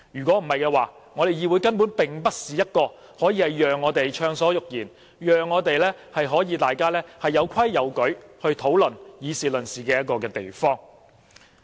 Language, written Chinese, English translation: Cantonese, 否則，議會根本不能成為一個讓我們暢所欲言、大家有規有矩地討論和議事論事的地方。, Otherwise the Council can never become a venue where we can freely speak our mind hold discussions and exchange views in an orderly manner